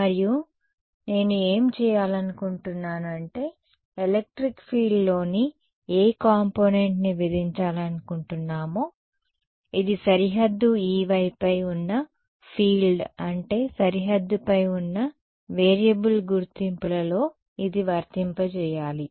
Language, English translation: Telugu, And what do I want to do is want to impose which component of electric field should this we apply to in the identities which is the field on boundary E y right E y is the variable that is lying on the boundary